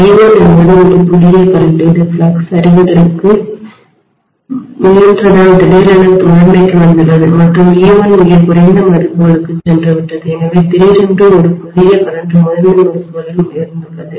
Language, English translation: Tamil, I1 is a new current that has suddenly come up in the primary because the flux was trying to collapse and e1 has gone too very low values, so suddenly a new current has jumped up in your primary winding, right